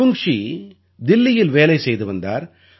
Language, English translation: Tamil, Avungshee had a job in Delhi